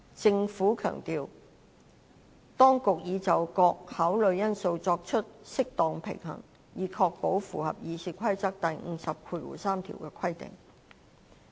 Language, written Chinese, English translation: Cantonese, 政府當局強調，當局已就各考慮因素作出適當平衡，以確保符合《議事規則》第503條的規定。, The Administration has stressed that it has struck an appropriate balance among different considerations so as to ensure that Rule 503 of the Rules of Procedure is complied with